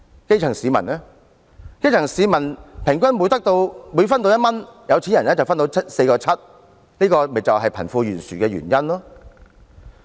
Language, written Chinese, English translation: Cantonese, 基層市民平均每分得1元，有錢人就分得 4.7 元，這就是造成貧富懸殊的原因。, For every dollar the grass - roots people get from the distribution the rich get 4.7 . That is the cause of the huge wealth disparity in society